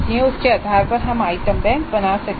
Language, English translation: Hindi, So the managing based on that we can create an item bank